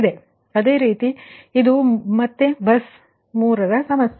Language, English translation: Kannada, so this is again three bus problem, know